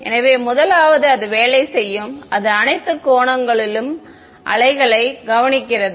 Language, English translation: Tamil, So, the first is going to be that it works it observes waves at all angles ok